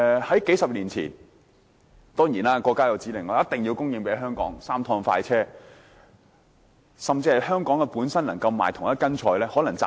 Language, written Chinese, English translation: Cantonese, 數十年前，當然，國家有指令，一定要供應鮮活商品給香港，有"三趟快車"政策。, A few decades ago certainly with the order of the State the Mainland must supply live and fresh produces to Hong Kong that is the Three Express Trains policy